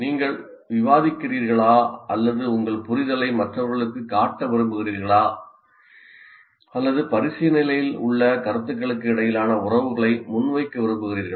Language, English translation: Tamil, Are you discussing or are you trying to, you want to show your understanding to others, or the teacher wants to present the relationships between the ideas that are under consideration